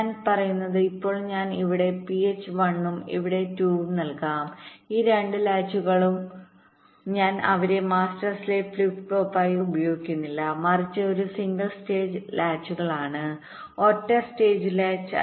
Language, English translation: Malayalam, what i am saying is that now let me feed phi one here and phi two here and these two latches i am not using them as master slave flip flop, but aS simple single stage latches, single stage latch